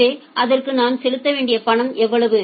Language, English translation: Tamil, So, for that what is the money that I have to pay